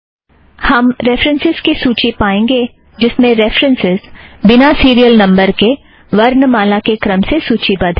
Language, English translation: Hindi, We get the reference list as shown here, where the references are arranged alphabetically without serial numbers